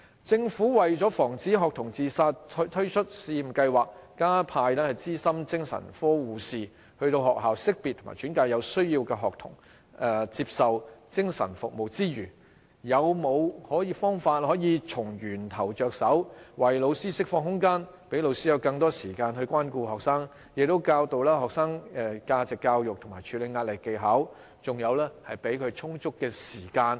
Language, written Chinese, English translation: Cantonese, 政府為了防止學童自殺推出試驗計劃，加派資深精神科護士到學校識別及轉介有需要的學童接受精神服務之餘，是否有方法可以從源頭着手，為老師釋放空間，讓老師有更多時間關顧學生，教導學生價值教育及處理壓力的技巧，給他們充足的空餘時間？, This vicious cycle together with the pressure will continuously affect their emotions . In order to prevent students from committing suicide the Government has launched a pilot scheme to send experienced psychiatric nurses to schools to identify and transfer needed students to seek psychiatric services . But apart from this does the Government have any means to tackle this issue at source and release teachers from their some of their duties in exchange for more time to care for their students teach them value education and how to deal with pressure so as to give students more leisure time?